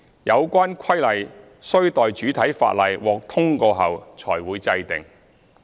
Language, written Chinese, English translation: Cantonese, 有關規例須待主體法例獲通過後才會制定。, The relevant regulations will be formulated only after the enactment of the principal Ordinance